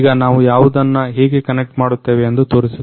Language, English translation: Kannada, Now, we are going to show you what, how we are going to connect it